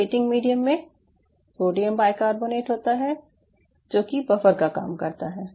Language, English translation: Hindi, and your plating medium has sodium bicarbonate, which is used for the buffering